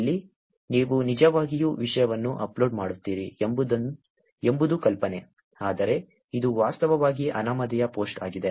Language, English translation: Kannada, Here, the idea is that you actually upload a content, but it is actually anonymous post